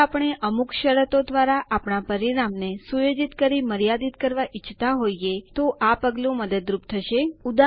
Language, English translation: Gujarati, This step will help if we want to limit our result set to some conditions